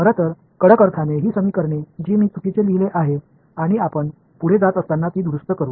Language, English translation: Marathi, In fact, in the strictest sense these equations that I have written a wrong and we will correct them as we go further in the course this